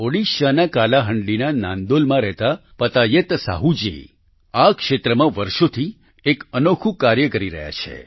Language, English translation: Gujarati, Patayat Sahu ji, who lives in Nandol, Kalahandi, Odisha, has been doing unique work in this area for years